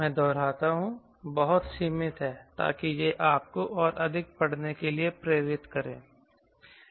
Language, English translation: Hindi, very limited, i repeat, very limited, so that it motivates you to do to read more